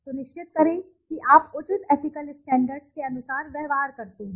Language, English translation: Hindi, Ensure that you behave according to the appropriate ethical standards